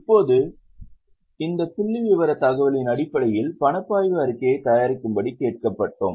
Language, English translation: Tamil, And now based on this figure information, we were asked to prepare cash flow statement